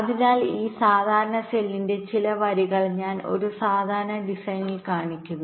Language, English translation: Malayalam, so i am showing some rows of this standard cells in a typical design